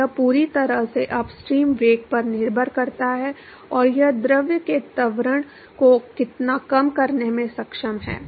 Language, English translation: Hindi, So, it completely depends upon the upstream velocity and how much it is able to bare the acceleration of the fluid